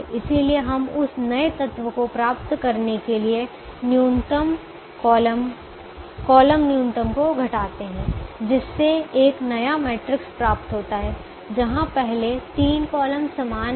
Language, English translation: Hindi, so we subtract the column minimum from every element of that, subtract the column minimum to get a new matrix where the first three columns are the same